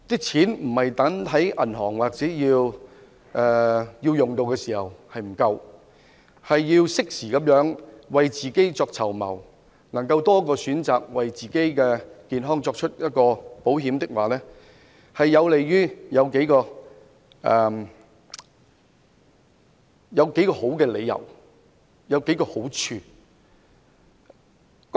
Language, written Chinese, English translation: Cantonese, 錢不應放在銀行，到使用時才發現不夠，而是要適時為自己籌謀，能夠有多一個選擇，為自己的健康購買保險，此舉有數個理由和好處。, Money should not be put in the bank and found not enough when needed . Instead we should plan for ourselves in a timely manner by having an additional option to buy an insurance policy for our own health . There are several reasons and advantages for this